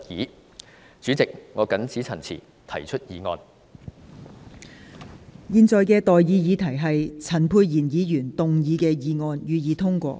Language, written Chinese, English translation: Cantonese, 我現在向各位提出的待議議題是：陳沛然議員動議的議案，予以通過。, I now propose the question to you and that is That the motion moved by Dr Pierre CHAN be passed